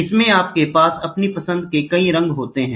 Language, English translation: Hindi, In this, you have several colors of your choice, ok